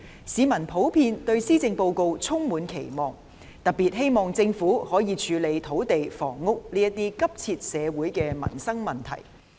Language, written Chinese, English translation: Cantonese, 市民普遍對施政報告充滿期望，特別希望政府可以處理土地和房屋等急切的社會和民生問題。, The public in general has high expectations on the Policy Address . In particular they hope that the Government can deal with pressing social and livelihood issues such as land and housing